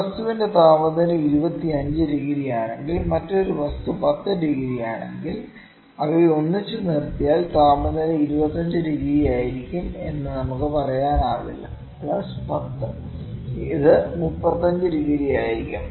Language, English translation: Malayalam, We cannot say that if the temperature of one body is maybe 25 degree another body is 10 degree if we keep them together the temperature will be 25, plus 10 it would be 35 degrees